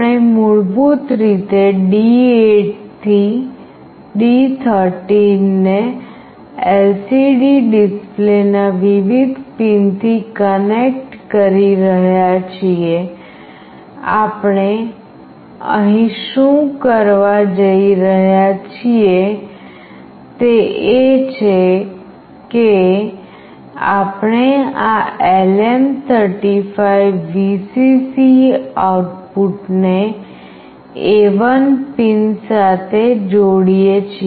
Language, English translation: Gujarati, We are basically connecting from D8 to D13 to various pins of the LCD display, what we are going here to do is that, we are connecting this LM35 VCC output to pin A1